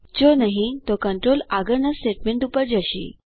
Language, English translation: Gujarati, If not, the control then jumps on to the next statement